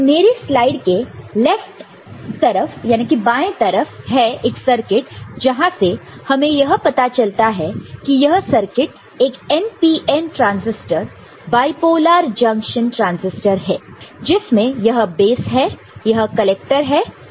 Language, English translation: Hindi, So, what we see in the left hand side of the slide is a circuit where we see this is an NPN transistor bipolar junction transistor, this is the base, this is the collector and this is the emitter ok